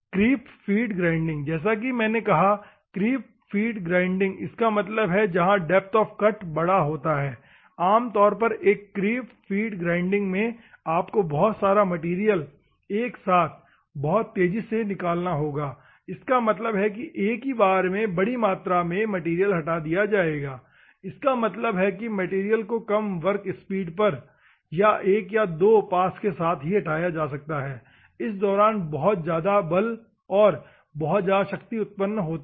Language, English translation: Hindi, The creep feed grinding: as I said the creep feed grinding, means there is a high depth of cut normally in a creep feed grinding you will have to remove the stock of material very fastly; that means, that high amount of material will be removed in a one go; that means, removed with one or two passes at the low work speed very high forces are generated and high region power